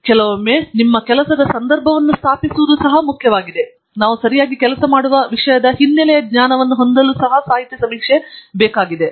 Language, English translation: Kannada, And, sometimes it’s also important to establish the context for your work, and its also important to have a background knowledge of the topic that we are working on okay